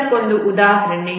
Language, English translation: Kannada, This is another example